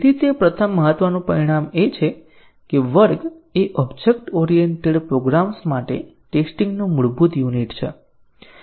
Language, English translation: Gujarati, So, that is the first important result that class is the basic unit of testing for objects oriented programs